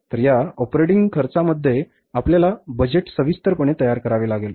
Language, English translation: Marathi, So, in this operating expenses we have to prepare the budget in detail